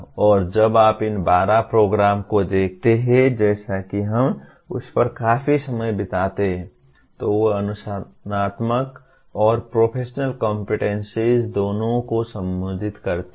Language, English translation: Hindi, And when you look at these 12 outcomes as we spend considerable time on that, they address both disciplinary and professional competencies